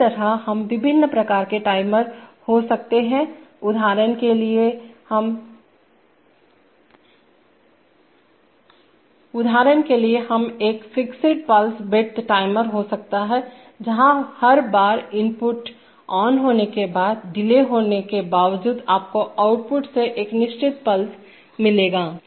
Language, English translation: Hindi, Similarly we could have various kinds of timers, for example we could have a fixed pulse width timer, where every time the input becomes on, after, there is a, irrespective of the delay, you will get a fixed pulse from the output